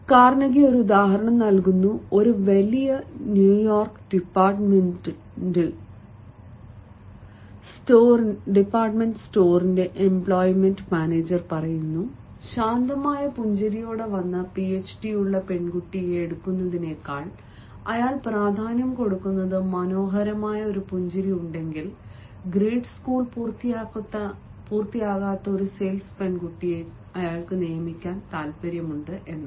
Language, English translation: Malayalam, carnegi gives an example and says: the employment manager of a large new york departmental store mentioned that he would rather hire a sales girl who had not finished grade school if she had a lovely smile than hire a phd with a sober smile